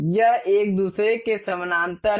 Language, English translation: Hindi, This is parallel to each other